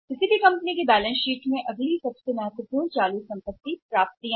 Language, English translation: Hindi, In the say balance sheet of any company the next important current asset is the accounts receivables